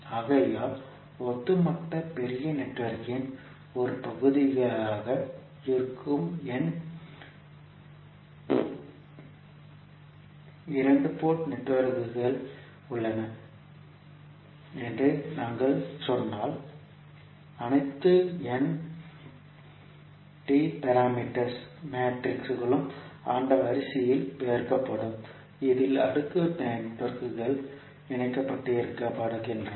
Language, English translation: Tamil, So, if we say there are n two port networks which are part of the overall bigger network, all n T parameter matrices would be multiplied in that particular order in which the cascaded networks are connected